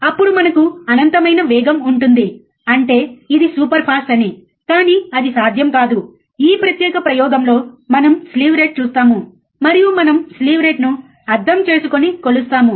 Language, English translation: Telugu, then we have infinitely fast; that means, that it is superfast, but it is not possible, we will see slew rate in this particular experiment, and we will understand and measure the slew rate